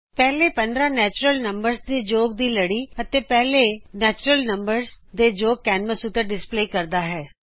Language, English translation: Punjabi, A series of sum of first 15 natural numbers and sum of first 15 natural numbers is displayed on the canvas